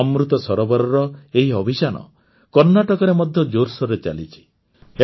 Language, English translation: Odia, This campaign of Amrit Sarovars is going on in full swing in Karnataka as well